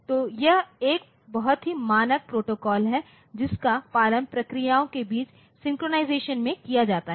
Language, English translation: Hindi, So, this is a very standard protocol that is followed in the synchronization between processes